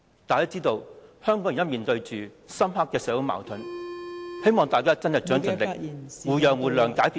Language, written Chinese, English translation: Cantonese, 大家知道香港現時面對深刻的社會矛盾......希望大家真的盡力，互讓互諒，解決問題。, We all know that Hong Kong is at present facing deep - rooted social conflicts I hope that with mutual understanding and mutual accommodation we can really try our best to solve the problems